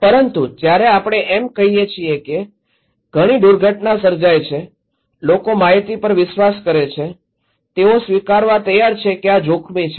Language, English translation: Gujarati, But when we are saying that, that much of casualty happened people are more likely to believe the information, ready to accept that this is risky